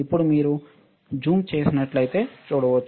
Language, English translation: Telugu, now you can see it is zoom in